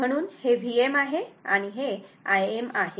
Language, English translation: Marathi, So, this is V m and this is your I m